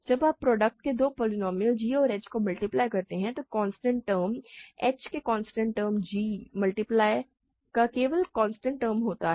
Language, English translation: Hindi, When you multiply two polynomials g and h in the product the constant term is just the constant term of g times constant term of h